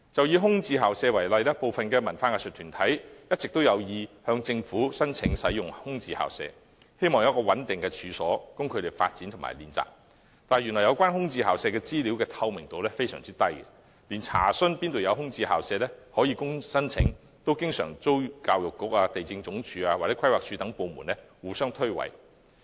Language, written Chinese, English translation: Cantonese, 以空置校舍為例，有文化藝術團體一直有意向政府申請使用空置校舍，希望有一個可供發展和練習的穩定處所，但有關空置校舍資料極不透明，連查詢有何空置校舍可供申請，教育局、地政總署或規劃署等部門也經常互相推諉。, Some arts and cultural groups have always wanted to apply to the Government for using these premises in the hope of having a stable premise for their development and practices . However the information on these vacant school premises is far from transparent . The Education Bureau the Lands Department and the Planning Department etc